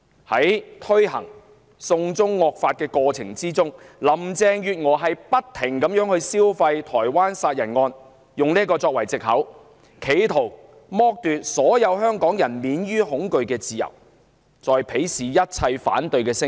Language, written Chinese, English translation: Cantonese, 在推動"送中惡法"的過程中，林鄭月娥不斷"消費"台灣殺人案，以此作藉口企圖剝奪所有香港人免於恐懼的自由，更鄙視一切反對聲音。, In the course of pushing through the draconian China extradition law Carrie LAM exploited the Taiwan homicide case time and time again seizing it as an excuse to aid her attempt to strip Hongkongers of their freedom from fear while treating all dissenting views with disdain